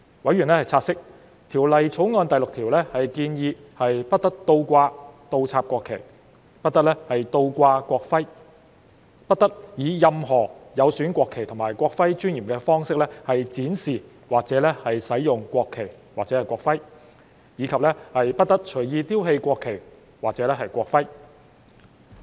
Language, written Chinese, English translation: Cantonese, 委員察悉，《條例草案》第6條建議不得倒掛、倒插國旗，不得倒掛國徽；不得以任何有損國旗或國徽尊嚴的方式展示或使用國旗或國徽；以及不得隨意丟棄國旗或國徽。, Members have noted that clause 6 of the Bill proposes that a national flag or a national emblem must not be displayed upside down must not be displayed or used in any way that undermines the dignity of the national flag or the national emblem and must not be discarded at will